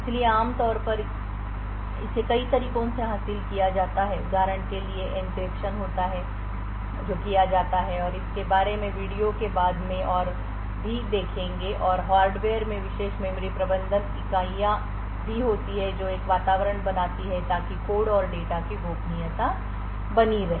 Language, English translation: Hindi, So typically this is achieved by multiple ways for example there is encryption which is done and will see more about it later in the video and also there is special memory management units present in the hardware which creates an environment so that confidentiality of the code and data in the enclave is achieved